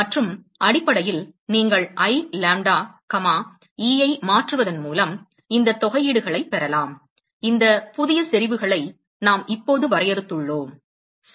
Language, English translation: Tamil, And essentially, you can get these integrals by replacing, I lambda comma e, with these a new intensities that we have just defined, all right